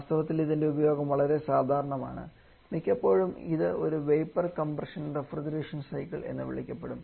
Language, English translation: Malayalam, In fact, it its uses so common that quite often this is the one that is referred as a vapour compression Refrigeration cycle only